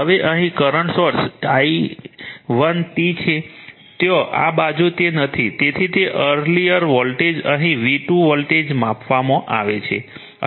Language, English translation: Gujarati, Now, here a current source is i 1 t is there, this side it is not there, so it is volt[age] earlier voltage here is measured v 2